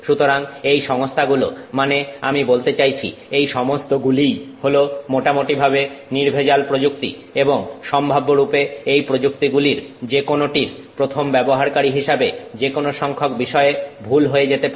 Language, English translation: Bengali, So, this combination of me, I mean each of this is a fairly sophisticated technique and potentially as a first time user of any of these techniques there are any number of things that can go wrong